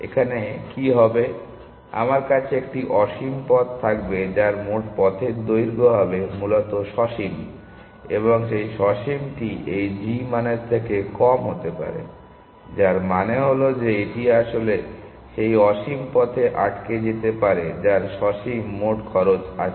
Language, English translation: Bengali, What will happen, I will have an infinite path whose total path length will be finite essentially, and that finite could be less than this g value, which means that it could get actually trapped in that infinite path essentially, which has the finite total cost